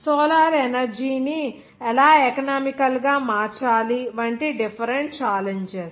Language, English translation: Telugu, Different challenges like how to make solar energy economical